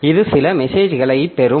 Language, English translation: Tamil, So, it receives this message